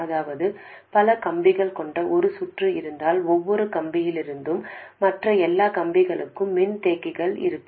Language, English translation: Tamil, So, that means that if you have a circuit with a number of wires, there will be capacitors from every wire to every other wire